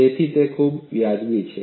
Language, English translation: Gujarati, So, it is fair enough